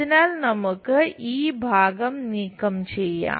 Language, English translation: Malayalam, So, let us remove this portion